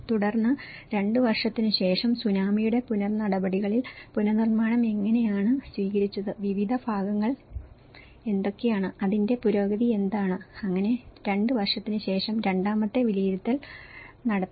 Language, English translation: Malayalam, And then following up on the Tsunami after 2 years, how the reconstruction have taken up, what are the various segments, what is the progress of it, so there is a second way of assessment has been done after 2 years